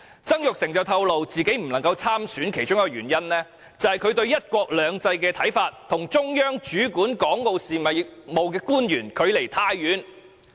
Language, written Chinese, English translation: Cantonese, 曾鈺成透露，自己不能夠參選的其中一個原因，是他對"一國兩制"的看法與中央主管港澳事務的官員相距甚遠。, According to Jasper TSANG one of the reasons why he was not able to run for the election was his interpretation of the one country two systems principle deviated greatly from that of Central Government officials overseeing Hong Kong and Macao affairs